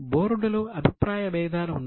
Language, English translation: Telugu, There was conflict in the board